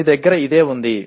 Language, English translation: Telugu, This is what you have